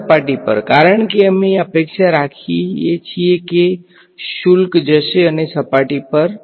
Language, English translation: Gujarati, On the surface because, we expect charges will go and flow to the surface they will not